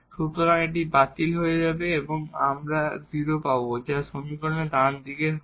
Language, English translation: Bengali, So, that will cancel out and the we will get the 0 which is the right hand side of the equation